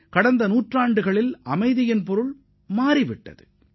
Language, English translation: Tamil, The definition of peace has changed in the last hundred years